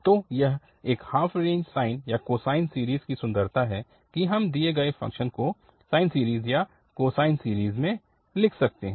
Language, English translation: Hindi, So that is the beauty of this half range sine or cosine series, that the given function we can write down either in the sine series or in the cosine series